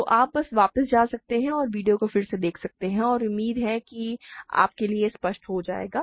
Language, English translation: Hindi, So, you can just go back and see the video again, and hopefully it will become clear to you